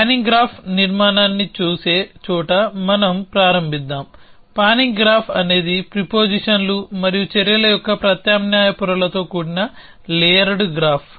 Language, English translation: Telugu, So, let us start where looking at the panning graph structure, the panning graph is a layered graph with alternate layers of prepositions and actions essentially